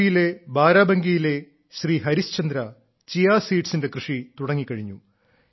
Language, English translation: Malayalam, Similarly, Harishchandra ji of Barabanki in UP has begun farming of Chia seeds